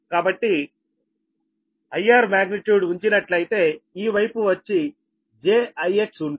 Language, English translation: Telugu, so if i put magnitude i r right and this side actually ah, your j, i x